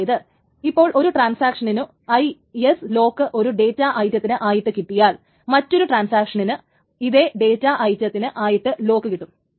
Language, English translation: Malayalam, That means if one transaction gets an IS lock on one data item, another transaction can get an IS lock on that same data item